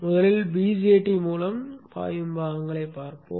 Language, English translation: Tamil, First let us look at the component that flows through the BJT